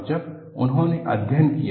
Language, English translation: Hindi, And when they studied